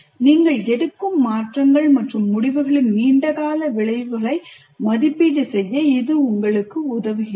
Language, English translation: Tamil, This enables you to evaluate the long term consequences of any changes and decisions that you make